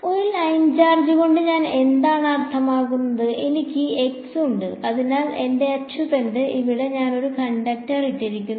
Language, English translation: Malayalam, So, what do I mean by a line charge is let say that I have x, this is my axis and over here I have put a conductor